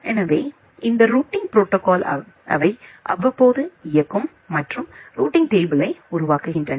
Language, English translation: Tamil, So, these routing protocols they execute periodically and construct the routing table